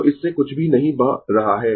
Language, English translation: Hindi, So, nothing is flowing through this